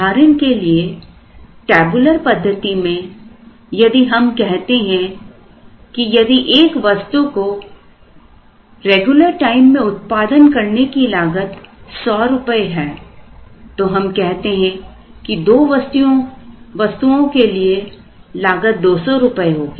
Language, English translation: Hindi, For example, in the tabular method, if we said that it is going to cost 100 rupees to produce an item on regular time, then we said it would cost 200 rupees for 2 items